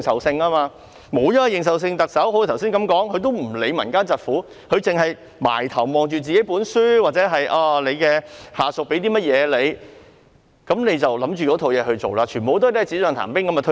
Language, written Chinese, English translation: Cantonese, 正如我剛才所說，沒有認受性的特首根本不會理會民間疾苦，只埋首閱讀自己的書本，或者看看下屬給她的文件，便照着文件去做，全部措施皆是"紙上談兵"般便推出。, As I said earlier the Chief Executive without peoples mandate is basically oblivious to peoples suffering . She only buries herself in books or reads the documents submitted to her by her subordinates . Since she just works according to the documents all measures thus rolled out only appear more imposing on paper